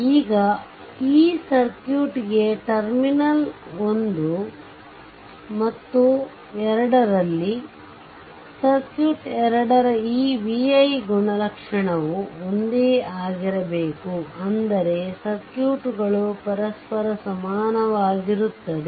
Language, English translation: Kannada, Now, for this circuit also because at terminal one and two, this vi characteristic of both the circuit has to be same it is I mean the circuits are equivalent to each other